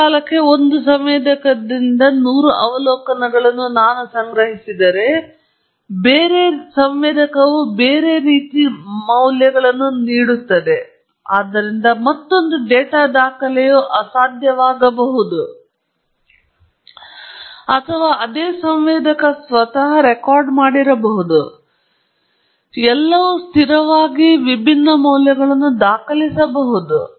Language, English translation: Kannada, If I collect hundred observations with one sensor over a period of time, another sensor would have viewed that in a different manner; so that, another data record could have been impossible or the same sensor itself could have recorded, everything held constant could have recorded completely different values